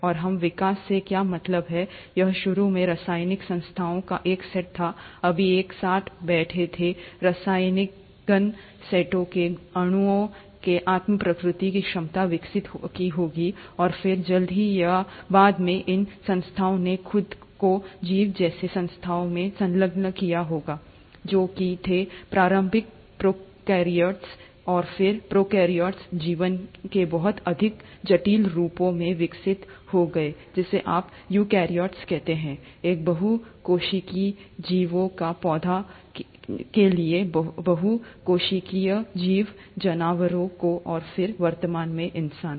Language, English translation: Hindi, And, what do we mean by evolution; it was just initially a set of chemical entities, all sitting together, these set of chemical molecules must have evolved an ability to self replicate, and then sooner or later, these entities would have enclosed themselves into organism like entities, which were the initial prokaryotes, and then the prokaryotes would have evolved into much more complex forms of life, which is what you call as the eukaryotes, a single celled organism to a multi cellular organism to plants, to animals, and then, to the present day human beings